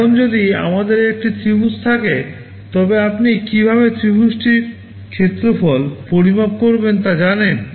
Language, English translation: Bengali, Now, if we have a triangle you know how to measure the area of the triangle